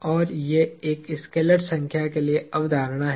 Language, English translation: Hindi, And, these are concepts for a scalar number